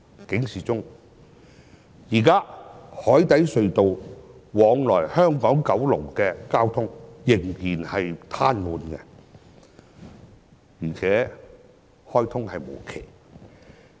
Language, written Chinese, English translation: Cantonese, 現時海底隧道往來香港和九龍的交通仍然癱瘓，而且開通無期。, The traffic between Hong Kong Island and Kowloon through the Cross Harbour Tunnel has been paralysed and there is no knowing when the tunnel will be reopened